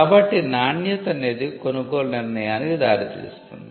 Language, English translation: Telugu, So, quality leads to a purchasing decision